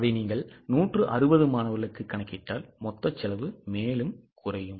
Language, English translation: Tamil, Now if you go for 160 students will total cost further go down